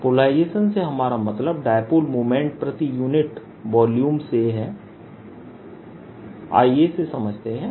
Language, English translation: Hindi, by polarization we mean dipole moment per unit volume